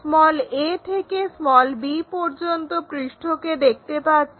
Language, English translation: Bengali, a to b surface also visible